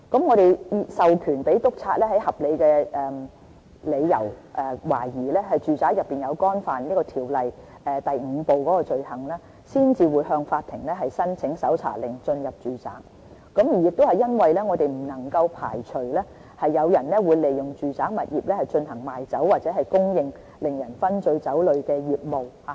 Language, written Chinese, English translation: Cantonese, 我們授權督察在有合理理由懷疑有人在住宅干犯條例第5部的罪行時，才會向法庭申請搜查令進入住宅，因為我們不能排除有人會利用住宅物業賣酒或供應令人醺醉酒類的業務，給予未成年人。, We empower inspectors to apply for search warrants when there is reasonable suspicion that someone may commit in domestic premises an offence under the new Part 5 as we cannot exclude the possibility that someone may make use of a domestic premise to run a business which sells or provides intoxicating liquor to minors